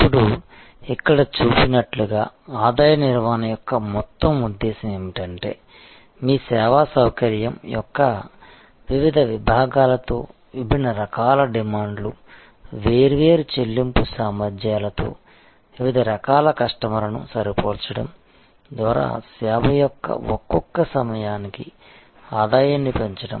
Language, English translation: Telugu, Now, as it is shown here, a whole purpose of revenue management is to maximize the revenue per episode of service by matching different types of demands, different types of customers with different paying capacities with different sections of your service facility